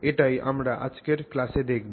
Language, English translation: Bengali, So, this is what we will do in today's class